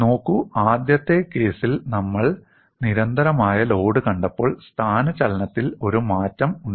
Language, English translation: Malayalam, See, in the first case where we saw constant load, there was a change in the displacement